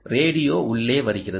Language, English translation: Tamil, the radio come in